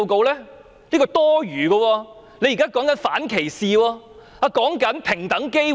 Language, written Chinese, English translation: Cantonese, 那是多餘的，還說反歧視，平等機會。, Such words are superfluous bearing no meaning to non - discrimination and equal opportunities